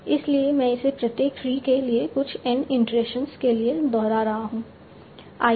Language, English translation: Hindi, So I am repeating it for some N number of iterations